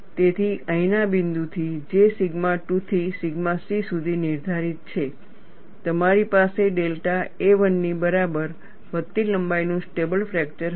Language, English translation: Gujarati, So, from the point here, which is dictated by sigma 2, to sigma c, you will have a stable fracture of the incremental length equal to delta a 1